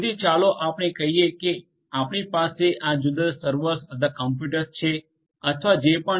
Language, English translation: Gujarati, So, let us say that you have these different servers or computers or whatever